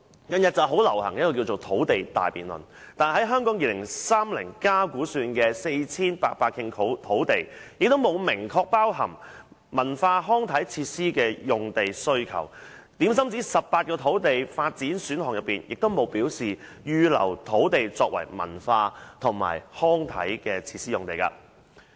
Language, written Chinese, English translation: Cantonese, 近日流行土地大辯論，但在《香港 2030+》估算的 4,800 公頃土地之中，也沒有明確包含文化康體設施的用地需求；在18個土地發展選項中，也沒有預留土地作為文化及康體設施用地這一項。, The mega debate on land has become a popular term recently . But the strategic study Hong Kong 2030 has not specifically included any land for cultural recreational and sports facilities in its estimated 4 800 hectares of land nor reserved any land for these facilities among the 18 options it has proposed to boost land supply